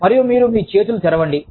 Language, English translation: Telugu, And, you open your hands